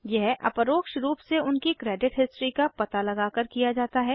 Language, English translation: Hindi, This is done by indirectly tracking their credit history